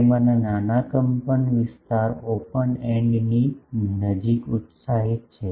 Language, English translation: Gujarati, So, a small amplitude of that are excited near the open end